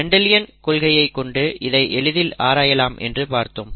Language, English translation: Tamil, That was the use of learning Mendelian principles